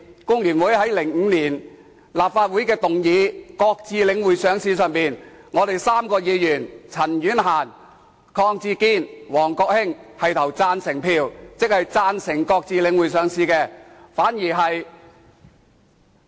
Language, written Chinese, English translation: Cantonese, 立法會在2005年討論擱置領匯上市的議案時，工聯會3名議員也是投贊成票，即贊成擱置領匯上市。, When the motion on the suspension of the listing of The Link REIT was discussed in the Legislative Council in 2005 three Members of FTU had all voted for the motion that is we supported the suspension of the listing